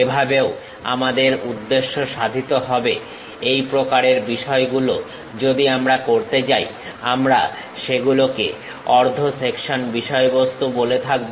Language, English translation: Bengali, Thus, also serves the purpose; such kind of things if we are going to do, we call that as half section things